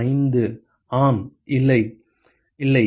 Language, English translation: Tamil, 5 yes no, not at all